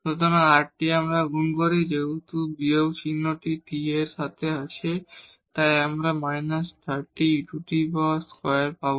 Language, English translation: Bengali, So, rt when we make this product, so since the minus sign is there with the t we will get this minus thirty by e square